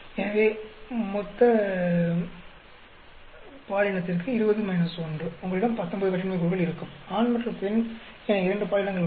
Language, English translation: Tamil, So, 20 minus 1 will give you 19 degrees of freedom for total gender; there are two genders male and female